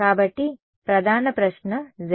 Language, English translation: Telugu, So, the main question is what is Za